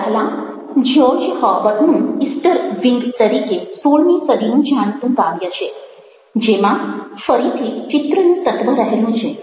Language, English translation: Gujarati, the first one is known as easter wings by george herbert, a sixteenth century poem which again deals with the element of image